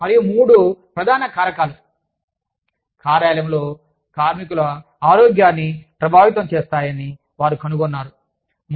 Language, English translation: Telugu, And, they found out that, three main factors, affects the health of the workers, in the workplace